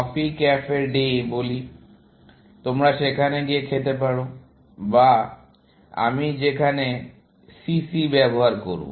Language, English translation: Bengali, Let us say Coffee Cafe Day; you can go and eat there, which I will use CC here